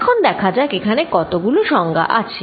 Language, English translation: Bengali, Now, let us see how many definitions are there